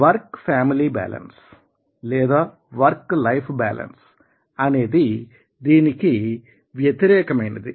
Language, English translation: Telugu, and when you say work family balance or work life balance, life is the activities outside the work